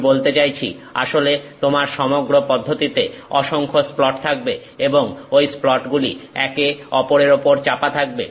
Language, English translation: Bengali, I mean in fact; you have the whole processes full of splats and those splats are pressed against each other